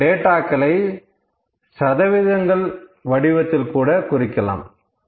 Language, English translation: Tamil, We having some data, we can put that data into percentages as well